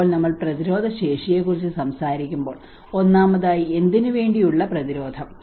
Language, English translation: Malayalam, So when we talk about resilience, first of all resilience to what